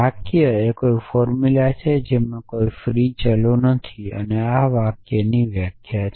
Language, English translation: Gujarati, So, a sentence is a formula with no free variables this is definition of a sentence